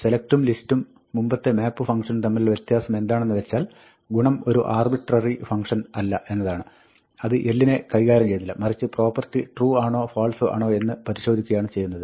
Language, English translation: Malayalam, The difference between select and our earlier map function is that, property is not an arbitrary function; it does not manipulate l at all, all it does is, it checks whether the property is true or not